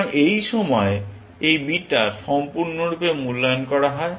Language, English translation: Bengali, So, at this point, this beta is completely evaluated